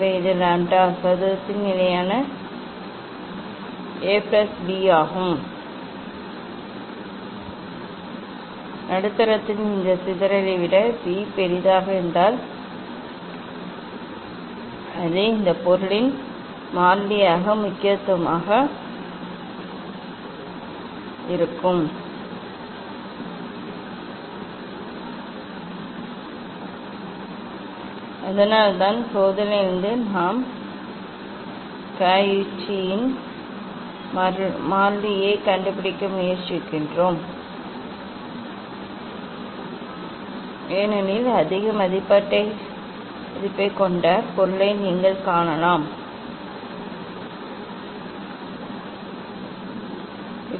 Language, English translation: Tamil, this is the constant A plus B by lambda square, if B is larger than this dispersion of the medium will be more that is the importance of this constant of the material, that is why from experiment we try to find out the Cauchy s constant because if you find the material which is having the higher the value, then the dispersive power of that medium will be higher